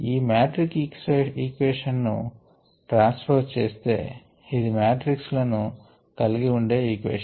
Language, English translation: Telugu, now if we transpose this matrix equation ok, this is an equation consistingof matrixes